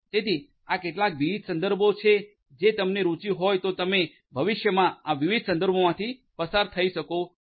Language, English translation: Gujarati, So, these are some of these different references if you are interested you can go through these different references for in the future